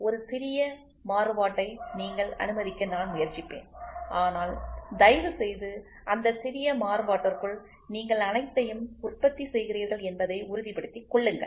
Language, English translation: Tamil, I will try to allow you to have a small variation, but please make sure you produce everything within that small variation